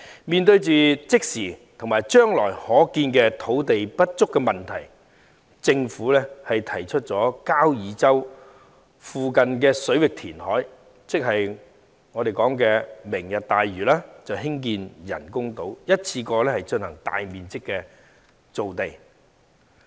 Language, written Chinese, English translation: Cantonese, 面對即時和將來可見的土地不足問題，政府提出在交椅洲附近水域填海，即所謂"明日大嶼"，在該處興建人工島，一次過進行大面積造地。, Facing the imminent and foreseeable shortage of land the Government has proposed the creation of artificial islands by reclamation in the waters off Kau Yi Chau ie . the programme named Lantau Tomorrow so as to produce a large area of land in one go